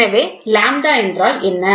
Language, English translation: Tamil, So, then what is lambda